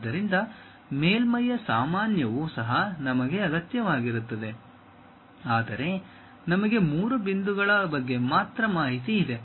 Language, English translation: Kannada, So, normals of the surface also we require, but we have only information about three points